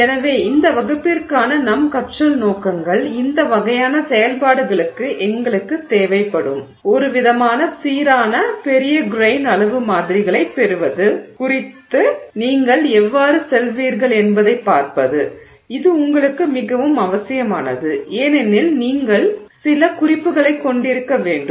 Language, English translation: Tamil, So, our learning objectives for this class are to look at how you would go about getting some kind of consistent large grain size samples that we would need for this kind of activity and this is particularly necessary because you need to have some frame of reference